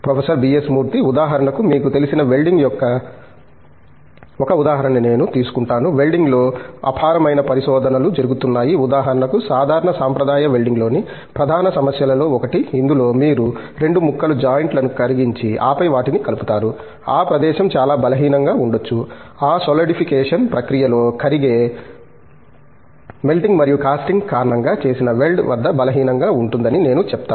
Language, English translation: Telugu, For example, I take one example of welding you know, there is enormous research that is going on in welding, on for example, one of the major problems in typical traditional welding which involves let us say, you melt 2 pieces at the joint and then join them, that can give you a lot of I would say weakness at the weld joined because of the melting and the casting that is involved during this solidification process